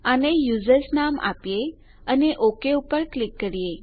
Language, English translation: Gujarati, Lets name it users and click on OK